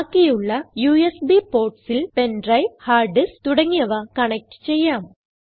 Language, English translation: Malayalam, The remaining USB ports can be used for connecting pen drive, hard disk etc